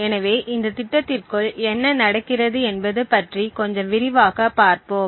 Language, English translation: Tamil, So, let us look a little more in detail about what is happening inside this program